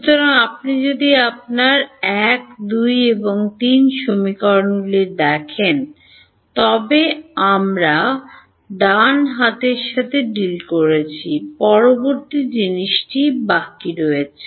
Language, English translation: Bengali, So, if you look at your equations 1, 2 and 3 we have dealt with the right hand sides right, the next thing that is left is